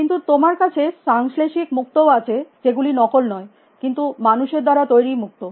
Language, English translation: Bengali, But, you also have synthetic pearls, which have not fake, but which are pearls in sort of made by humans